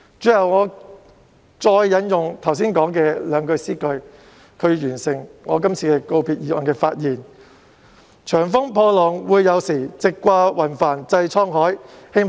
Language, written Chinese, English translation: Cantonese, 最後，我想引用剛才引述的詩歌最後兩句來總結我這次就告別議案的發言："長風破浪會有時，直掛雲帆濟滄海。, Finally I wish to conclude my present speech on this valedictory motion with the last two lines of the poem I quoted just now which read With roaring winds and slowing waves well set sail for the boundless sea someday . These are my words of encouragement for everybody